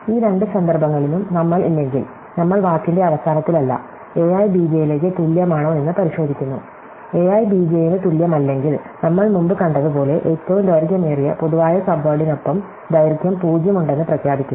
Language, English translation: Malayalam, So, if we are not in these two cases, we are not in the end of the word, then we check whether a i equal to b j, if a i is not equal to b j, we declare as we saw earlier with longest common subword has length 0